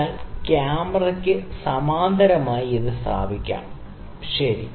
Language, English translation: Malayalam, So, let me make it very parallel to the camera, ok